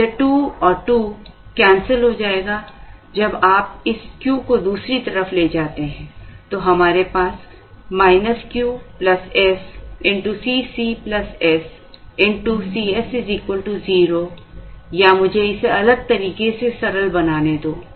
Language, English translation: Hindi, So, this 2 and this 2 will get cancelled, when you take this Q to the other side it goes, so we have minus Q plus s into C c plus s C s equal to 0 or let me put it or let me simplify it differently